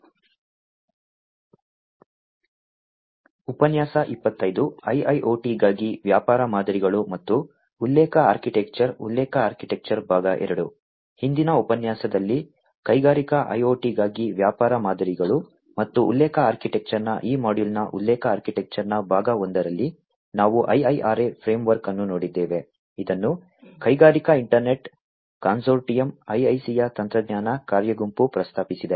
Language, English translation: Kannada, In the previous lecture, part one of the reference architecture of this module on business models and reference architecture for Industrial IoT we have seen the IIRA framework, that has been proposed by the technology working group of the Industrial Internet Consortium, IIC